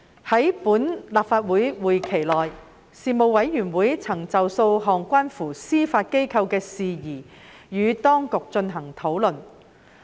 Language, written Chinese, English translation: Cantonese, 在本立法會會期內，事務委員會曾就數項關乎司法機構的事宜與當局進行討論。, In this session the Panel discussed with the authorities a number of issues relating to the Judiciary